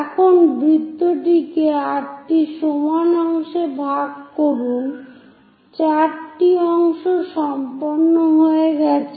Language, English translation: Bengali, Now divide the circle into 8 equal parts 4 parts are done